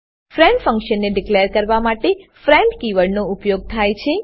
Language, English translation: Gujarati, friend keyword is used to declare a friend function